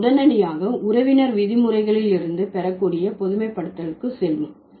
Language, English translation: Tamil, So, we'll straight away go to the generalizations which can be drawn from the kinship terms